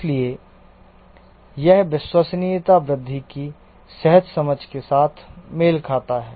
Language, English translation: Hindi, So, this matches with the intuitive understanding of the reliability growth